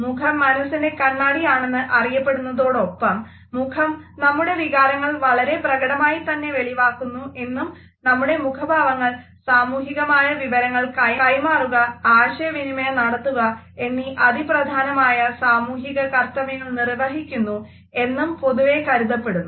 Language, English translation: Malayalam, It is popularly known as an index of mind and normal perception is that our face displays our emotions, our feelings in a very expressive manner and therefore, our facial expressions serve a very significant social function of passing on exchanging and communicating social information